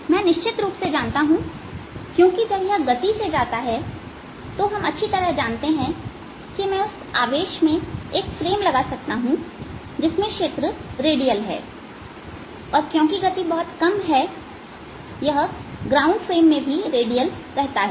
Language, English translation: Hindi, i cartinly no, because when it moving a velocity we have certainly know that i can attach a frame to the charge in which the field is radial and since velocity small, it remains redial in a ground frame